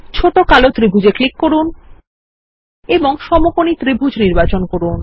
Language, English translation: Bengali, Click on the small black triangle and select Right Triangle